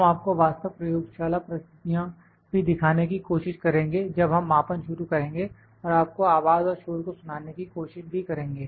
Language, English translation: Hindi, We will also try to show you the actual laboratory conditions when we will start the measurement and like to hear the voice and the noise there as well